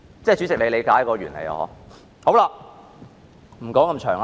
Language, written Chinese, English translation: Cantonese, 主席，你理解這原理嗎？, Chairman do you understand this reasoning?